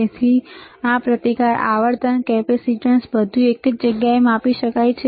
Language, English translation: Gujarati, So, this is the resistance frequency, capacitance everything can be measured in the same place